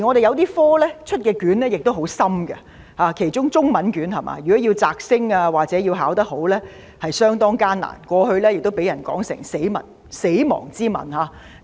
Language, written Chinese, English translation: Cantonese, 有些學科的試卷亦很艱深，尤其是中文科。如果要"摘星"或考得好，是相當艱難的，過去亦被人說成是"死亡之吻"。, Examination papers of some subjects are very difficult . In particular papers of Chinese Language were dubbed the kiss of death in the past